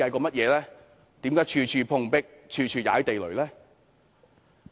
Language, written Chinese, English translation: Cantonese, 為何處處碰壁，處處"踩地雷"呢？, Why did it always run up against the wall and always get on the peoples nerves?